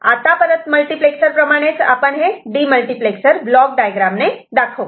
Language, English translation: Marathi, So, if it is 1 to 2 to demultiplexer, this is the block diagram